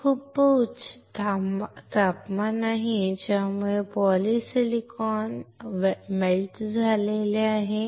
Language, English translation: Marathi, This is a very high temperature So, that this polysilicon is melted